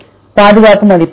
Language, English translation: Tamil, Conservation score, right